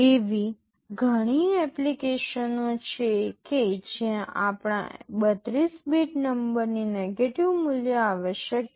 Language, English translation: Gujarati, There are many applications where negative value of our 32 bit number is required